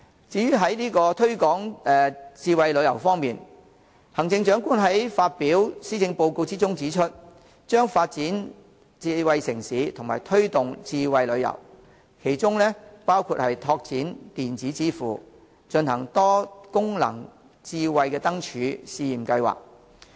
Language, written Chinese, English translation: Cantonese, 在推廣智慧旅遊方面，行政長官在施政報告中指出，將發展智慧城市及推動智慧旅遊，其中包括拓展電子支付，進行"多功能智慧燈柱"試驗計劃。, On promoting smart tourism in her Policy Address the Chief Executive proposes to develop smart city and promote smart tourism including exploring electronic payment and launching a pilot multi - functional smart lampposts scheme